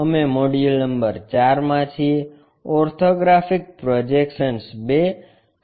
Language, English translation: Gujarati, We are in module number 4, Orthographic Projections II